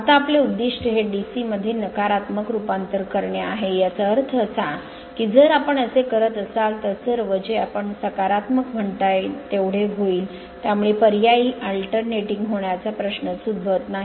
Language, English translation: Marathi, Now our objective will be to convert this negative to DC; that means, if it if you doing like this, so all will be your what you call positive, so no question of alternating